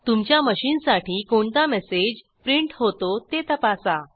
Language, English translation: Marathi, Check the message printed on your machine